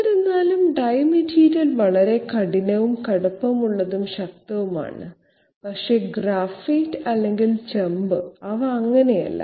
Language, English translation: Malayalam, However, even though die material is very you know hard and tough and strong, etc, but graphite or copper they are not so